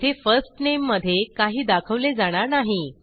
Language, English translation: Marathi, Here, nothing is displayed in first name